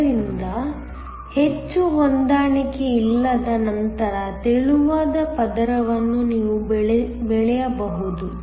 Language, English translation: Kannada, So, more the mismatch then the thinner the layer you can grow